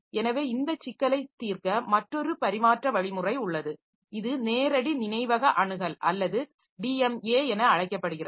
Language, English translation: Tamil, So, to solve this problem there is another transfer mechanism which is known as direct memory access or DMA is used